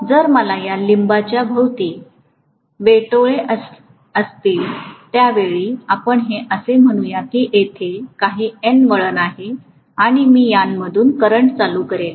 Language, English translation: Marathi, And if I am going to have the turns wound around this limb only let us say and let us say there are some N number of turns and I am going to pass the current I through this